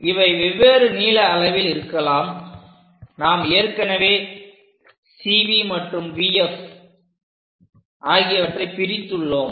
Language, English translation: Tamil, So, these can be at different kind of lengths already we made division for this CV and VF